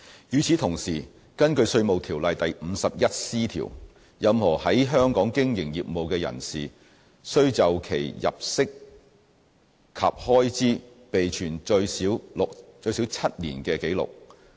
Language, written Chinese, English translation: Cantonese, 與此同時，根據《稅務條例》第 51C 條，任何在香港經營業務的人士須就其入息及開支備存最少7年的紀錄。, Meanwhile section 51C of IRO stipulates that every person carrying on a business in Hong Kong shall keep records of his income and expenditure for not less than seven years